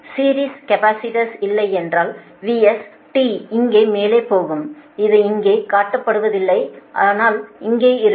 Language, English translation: Tamil, if, if the series capacitor is not there, then v s t, we will go to the top here, only, here only not shown, but here only right